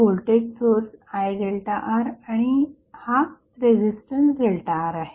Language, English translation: Marathi, So, this is a voltage source I into delta R and resistance delta R